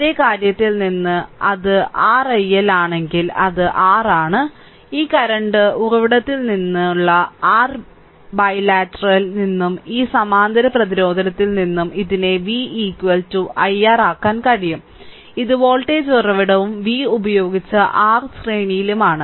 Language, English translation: Malayalam, And from the same thing, the if it is your i L it is R, the represent this one that from your bilateral from this current source and this parallel resistance, you can make it v is equal to i R, this is the voltage source and with v this R is in series right